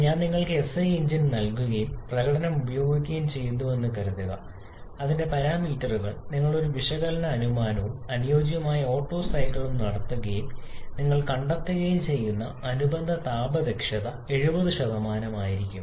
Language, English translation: Malayalam, It is very much possible that suppose I give you SI engine and using the performance parameters of that you do an analysis assuming and ideal Otto cycle and you are finding the corresponding thermal efficiency to be around 70 %